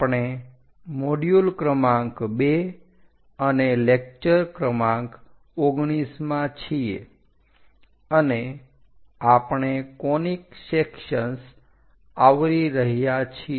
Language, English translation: Gujarati, We are in module number 2 and lecture number 19, and we are covering Conic Sections